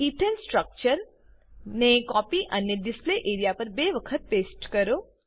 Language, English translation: Gujarati, Let us copy the Ethane structure and paste it twice on the Display area